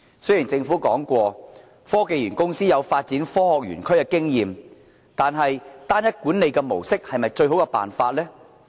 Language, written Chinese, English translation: Cantonese, 雖然政府表示科技園公司有發展科學園區的經驗，但單一管理的模式是否最好的做法？, Though the Government explains that HKSTPC has experience in developing science parks yet it is the best way to adopt a single management model?